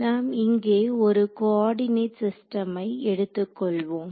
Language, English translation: Tamil, So, let us take a coordinate system over here right